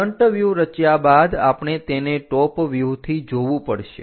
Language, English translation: Gujarati, After constructing front view, we have to see it from top view